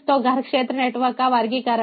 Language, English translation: Hindi, so the classification of home area networks